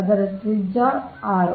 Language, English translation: Kannada, this is two r